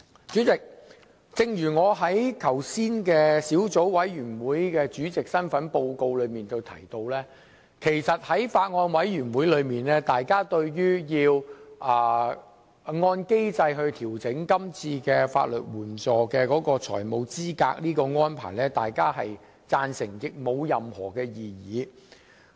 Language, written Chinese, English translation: Cantonese, 主席，正如我剛才以小組委員會主席身份作出報告時提到，在小組委員會內，大家均贊成是次按機制調整法律援助的財務資格限額的安排，並無任何異議。, President as I mentioned in the report in my capacity as Chairman of the Subcommittee at the Subcommittee Members agree with the present arrangement of adjusting the financial eligibility limit of legal aid according to the mechanism and have raised no objection